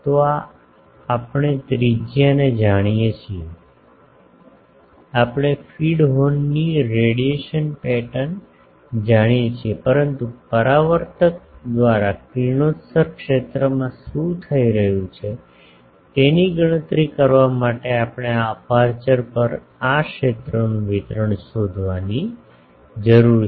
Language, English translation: Gujarati, So, this we know the radius suppose, we know the radiation pattern of the feed horn, but to calculate what is happening to the radiated field by the reflector we need to find this field distribution on this aperture